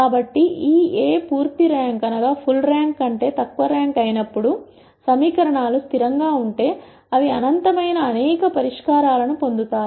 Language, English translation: Telugu, So, when this A becomes rank less than full rank, if the equations are consistent then they will get infinitely number of many infinitely many solutions